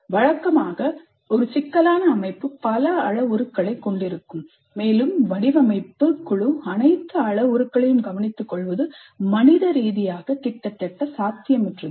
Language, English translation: Tamil, Usually a complex system will have too many parameters and it will be humanly almost impossible for the design team to take care of all the parameters